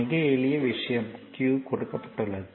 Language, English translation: Tamil, Very simple thing q is given